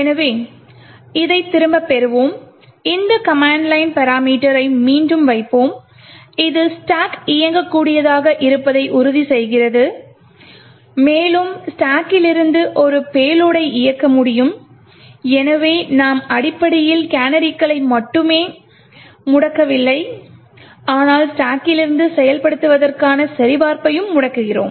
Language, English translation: Tamil, So let us get this back and we will put this command line parameter again to ensure that the stack becomes executable and we are able to run a payload from the stack and therefore we are essentially disabling not just the canaries but also disabling the check for execution from the stack